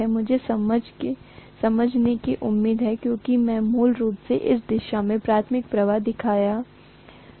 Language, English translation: Hindi, I hope to understand because I was showing basically the primary flux in this direction